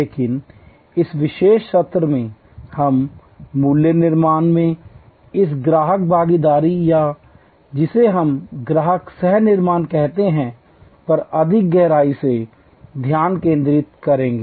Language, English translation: Hindi, But, in this particular session we will focus more deeply on this customer involvement in value creation or what we call Customer Co Creation